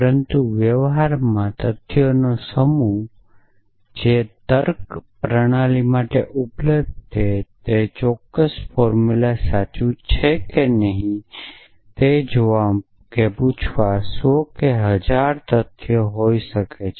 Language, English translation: Gujarati, But in practice the set of facts that available to a reasoning system would be hundreds of may be 1000s of facts and you may want to ask whether certain formula is true or not